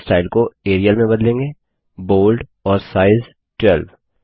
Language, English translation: Hindi, Let us change the fonts here to Arial, Bold and Size 8